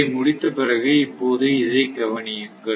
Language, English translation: Tamil, So, once this is done then what you can do is now look at this